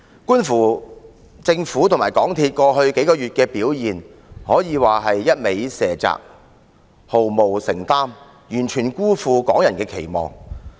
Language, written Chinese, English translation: Cantonese, 觀乎政府和港鐵公司在過去數月的表現，可以說是不斷卸責，毫無承擔，完全辜負港人的期望。, The Government and MTRCL have kept on shirking their responsibilities and made no commitment over the past few months . Their performance has failed to live up to the expectations of the Hong Kong people